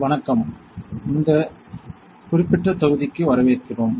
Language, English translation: Tamil, Hello, welcome to this particular module